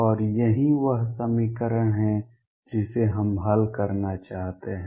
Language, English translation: Hindi, And this is the equation we want to solve